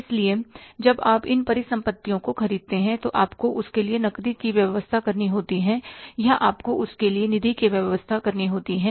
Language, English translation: Hindi, So, when you purchase these assets, you have to arrange the cash for that or you have to arrange the funds for that